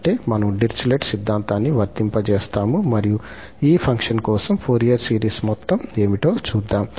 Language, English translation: Telugu, That means, we will just apply the Dirichlet theorem and we will see that what is the sum of the Fourier series for this function